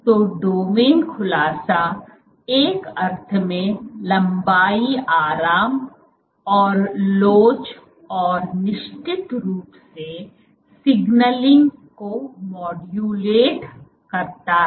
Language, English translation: Hindi, So, domain unfolding, in a sense what it is modulates and elasticity and of course, the signaling